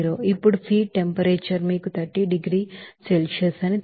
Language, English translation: Telugu, Now, the feed temperature is you know that 30 degrees Celsius